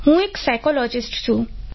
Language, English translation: Gujarati, I am a psychologist